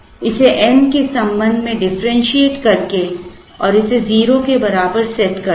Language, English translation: Hindi, By differentiating this with respect to n and setting it to 0